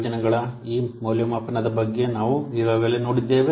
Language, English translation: Kannada, We have already seen about this evaluation of projects